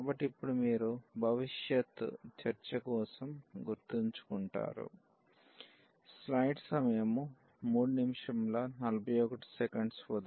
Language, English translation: Telugu, So, that now you will keep in mind now in future discussion